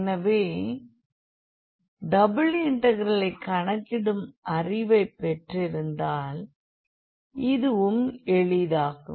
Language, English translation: Tamil, So, having the knowledge of the evaluation of the double integral, this will be also easier